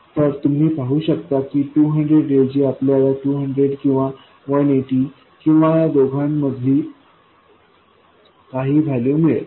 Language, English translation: Marathi, So you can see that instead of 200 we are getting either 220 or 180 or some value in between